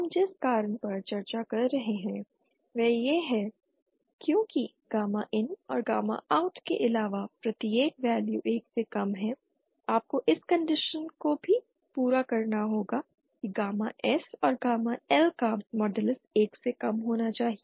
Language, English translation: Hindi, The reason we are discussing is because every value recall in addition to gamma IN and gamma out be lesser than 1, you also have to satisfy the condition that modulus of gamma S and gamma L should be lesser than 1